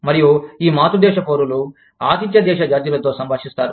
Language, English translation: Telugu, And, these parent country nationals, interact with the host country nationals